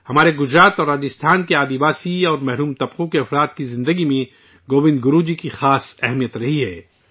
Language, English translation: Urdu, Govind Guru Ji has had a very special significance in the lives of the tribal and deprived communities of Gujarat and Rajasthan